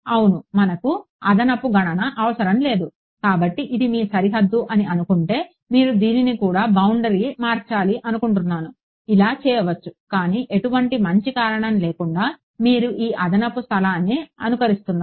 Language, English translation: Telugu, Extra computation for no need right; so, supposing this was your boundary I can as well say oh I want to make this boundary sure do it no problem your for no good reason you are simulating all of this extra space